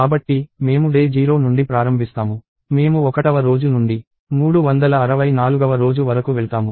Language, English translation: Telugu, So, we start at day 0; we go from day 1 to day 364